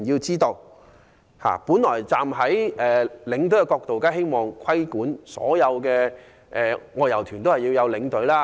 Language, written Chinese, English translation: Cantonese, 從領隊的角度看，當然希望規管所有外遊團安排領隊。, From the perspective of tour escorts they certainly hope that all outbound tour groups will be required to have a tour escort